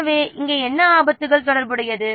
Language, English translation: Tamil, What, what risk is associated here